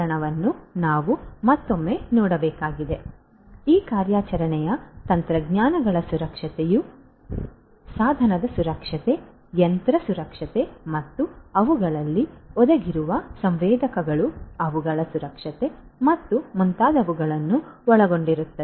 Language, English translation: Kannada, So, operational technologies would include the security of these operational technologies would include the device security, the machine security, the sensors that are embedded in them their security and so on